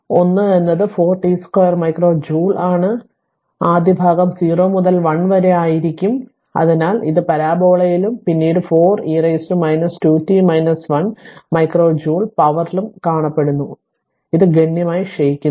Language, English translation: Malayalam, So, 1 is 4 t square micro joule so it looks first part will be up to 0 to 1, so it looks like in parabola right and then 4 into e to the power minus 2 into t minus 1 micro joule, so it is exponentially decay